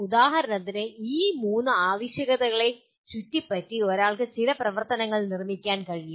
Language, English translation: Malayalam, For example, around these three requirements one can build some activities